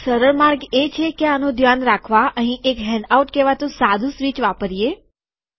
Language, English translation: Gujarati, One way to do that, to take care of this is to use a simple switch here called handout